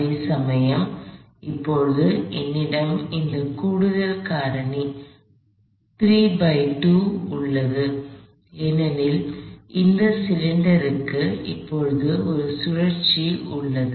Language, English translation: Tamil, Whereas, now I have this additional factor 3 halves and that is come, because this cylinder has a rotation to go with it now